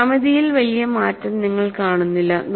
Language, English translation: Malayalam, You do not find a great change in the geometry